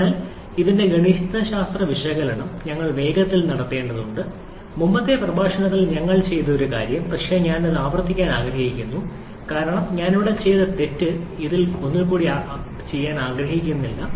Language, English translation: Malayalam, So, we have to perform the mathematical analysis of this one quickly, something that we have done in the previous lecture but I would like to repeat that one because the mistake that I did there I do not want to do it once again in this